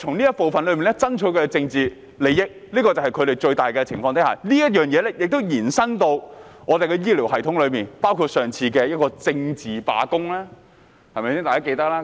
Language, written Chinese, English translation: Cantonese, 他們在此爭取他們的政治利益，這便是他們最大的前提，而這亦延伸至香港的醫療系統，包括上次的政治罷工，對嗎？, They were drumming up their political advantages here . That has been their biggest premise which they have extended to the healthcare system of Hong Kong including the previous political strike right?